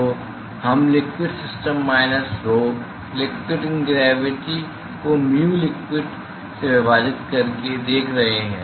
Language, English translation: Hindi, So, we are looking at the liquid system minus rho, liquid into gravity divided by mu liquid ok